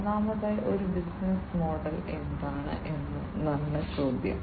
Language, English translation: Malayalam, And first of all the question is that, what is a business model